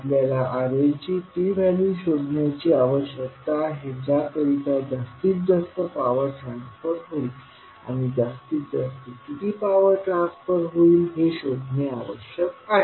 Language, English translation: Marathi, We need to find out the value of RL at which maximum power transfer will take place and we need to find out how much maximum power will be transferred